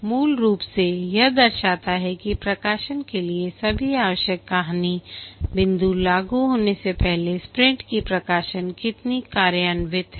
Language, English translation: Hindi, Basically, it represents how many more sprints are required before all the required story points for the release are implemented